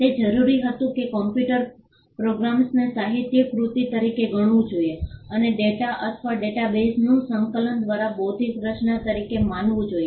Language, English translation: Gujarati, It required that computer programs should be treated as literary works and compilation of data or databases should also be treated as intellectual creations